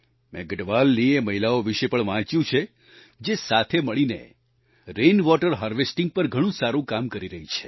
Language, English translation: Gujarati, I have also read about those women of Garhwal, who are working together on the good work of implementing rainwater harvesting